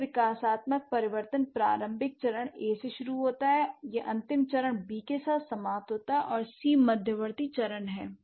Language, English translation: Hindi, This developmental change begins with initial stage A, it ends with final stage B and C is the intermediate stage, right